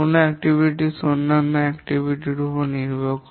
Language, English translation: Bengali, An activity may depend on other activities